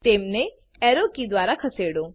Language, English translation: Gujarati, Move them using the arrow keys